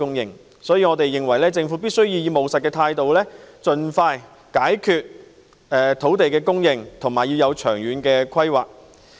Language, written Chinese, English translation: Cantonese, 因此，我們認為政府必須以務實的態度盡快解決土地供應的問題，並作出長遠的規劃。, Therefore we consider that the Government must adopt a pragmatic attitude to solve the problem of land supply expeditiously and also make long - term planning